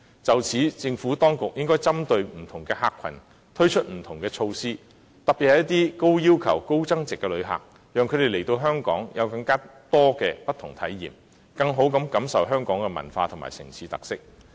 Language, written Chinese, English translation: Cantonese, 就此，政府當局應針對不同客群，推出不同措施，特別是一些高要求及高增值的旅客，讓他們來到香港能有更多不同的體驗，以致能更好地感受香港的文化和城市特色。, In view of this the Administration should introduce different measures targeting different clientele groups especially high - value added visitors with high expectations so that during their stay in Hong Kong they can enjoy a wider variety of experiences and better appreciate Hong Kongs culture and urban characteristics